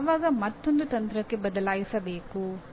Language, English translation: Kannada, When should I switch to another strategy